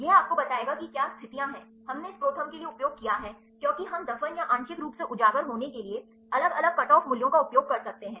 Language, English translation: Hindi, This will tell you what are the conditions, we used for this ProTherm, because we can use different cutoff values for the buried or partially exposed